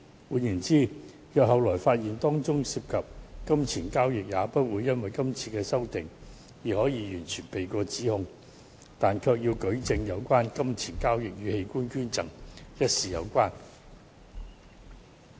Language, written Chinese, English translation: Cantonese, 換言之，若後來發現當中涉及金錢交易，也不會因今次修訂而可以完全逃避指控，但卻要舉證有關金錢交易與器官捐贈一事有關。, In other words if any pecuniary transaction is subsequently found the parties involved could not get away from the long arm of the law simply because of the amendment this time around . However the prosecution should provide evidence to prove that pecuniary transaction was involved in the organ donation